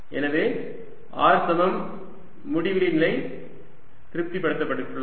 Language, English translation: Tamil, so r equals infinity, condition anyway satisfied